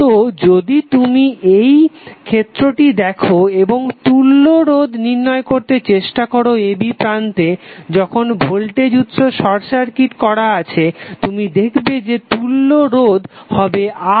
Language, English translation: Bengali, So if you see this case and you are trying to find out equivalent resistance across ab when voltage source is short circuited you will see equivalent resistance is R